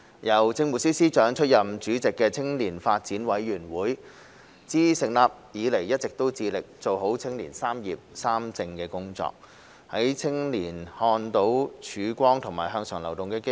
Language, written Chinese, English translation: Cantonese, 由政務司司長出任主席的青年發展委員會，自成立以來一直致力做好青年"三業三政"的工作，讓青年看到曙光和向上流動的機會。, Since its establishment the Youth Development Commission chaired by the Chief Secretary for Administration has been striving to do its best by addressing young peoples concerns about education career pursuit and home ownership and encouraging their participation in politics as well as public policy discussion and debate